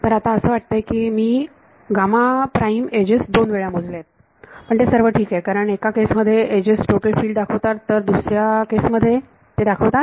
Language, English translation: Marathi, Now so, it seems that I have counted the gamma prime edges 2 times, but that is all right because in one case the edges are representing the total field in the other case they are presenting the